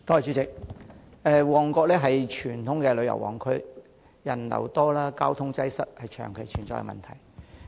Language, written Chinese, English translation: Cantonese, 主席，旺角是傳統的旅遊旺區，人流多、交通擠塞是長期存在的問題。, President Mong Kok is traditionally a hot tourist spot with heavy pedestrian flow and the long existing problem of traffic congestion